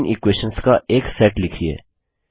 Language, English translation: Hindi, Write a set of three equations